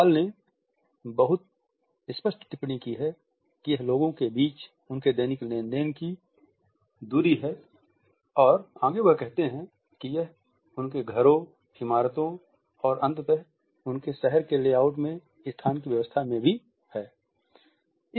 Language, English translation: Hindi, Hall has very rightly commented that this is the distance between men in conduct of their daily transactions and further he says that it is also the organizations of space in his houses, buildings and ultimately the layout of his town